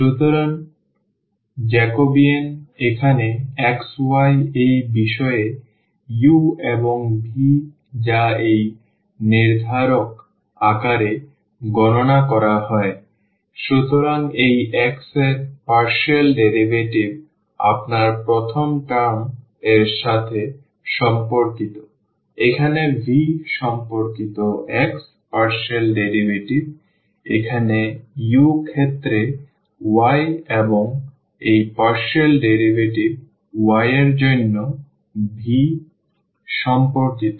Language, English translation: Bengali, So, Jacobian here x y with respect to this u and v which is computed as in the form of this determinant; so the partial derivative of this x with respect to u the first term, here the partial derivative of x with respect to v, now for the y with respect to u and this partial derivative y with respect to v